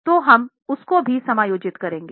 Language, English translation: Hindi, They would also be adjusted